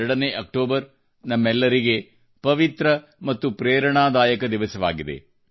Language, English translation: Kannada, 2nd of October is an auspicious and inspirational day for all of us